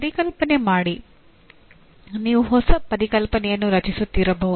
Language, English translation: Kannada, Conceptualize, you may be creating a new concept